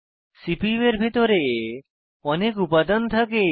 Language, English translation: Bengali, There are many components inside the CPU